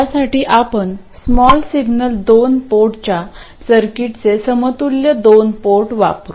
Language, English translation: Marathi, For this, we will use the circuit equivalent of the two port, of the small signal two port